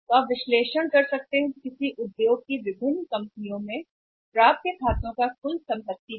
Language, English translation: Hindi, So, you can make analysis that in different companies in any industry what is the percentage of the accounts receivable as a percentage of the total assets